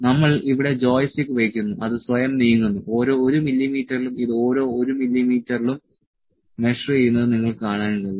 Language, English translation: Malayalam, We have kept joystick here it is moving by itself, you can see at each 1 mm, it is measuring at each 1 mm